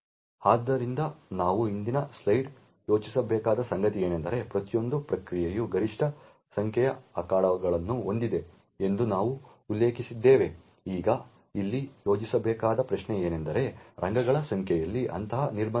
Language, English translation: Kannada, So, something to think about we mentioned in the previous slide that each process has a maximum number of arenas that are present, now the question over here to think about is why is there such a restriction in the number of arenas